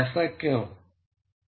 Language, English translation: Hindi, Why is that